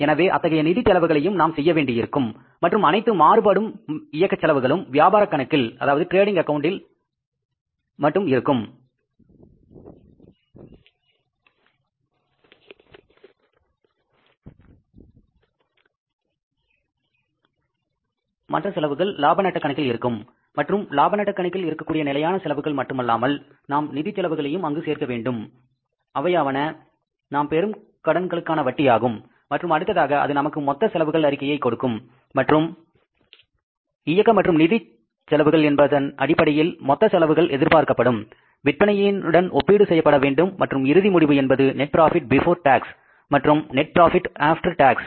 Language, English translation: Tamil, Variables will be only in the trading account, in the fixed will be in the profit and loss account and apart from the fixed operating expenses in the profit and loss account, we will have to include the information about the financial expenses that is the interest on borings and then that will give you the total expenditure statement and that total expenditure in terms of operating and financial cost has to be compared with the sales expected to be achieved and the net result will be the net profit before tax and net profit after tax